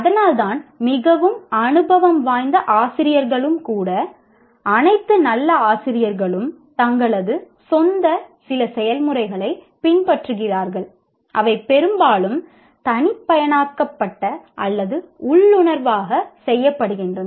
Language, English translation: Tamil, And that is why even very experienced faculty, all good faculty, though they are following certain processes of their own, which are mostly individualized or intuitively done